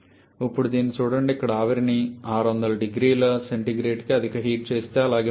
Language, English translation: Telugu, Now look at this here the steam is superheated to 600 degree Celsius rest remains same